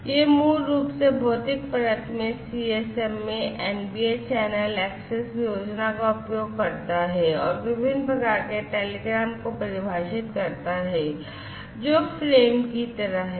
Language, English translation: Hindi, So, this can basically uses the CSMA, NBA channel access scheme, in the physical layer and defines different sorts of telegrams, which is basically some something like the frames